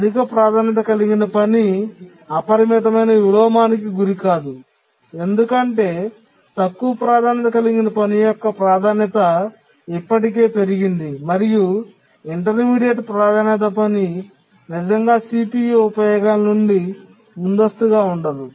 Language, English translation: Telugu, So, the high priority task cannot undergo unbounded inversion because the low priority task's priority is already increased and the intermediate priority task cannot really preempt it from CPU uses